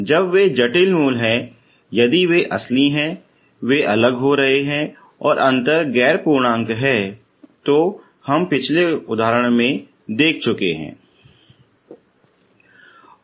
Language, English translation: Hindi, So when they are complex roots if they are real they are to be distinct and the difference is non integer we have seen in the last example